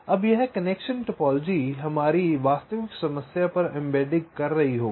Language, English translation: Hindi, so this connection topology will be doing embedding on our actual problem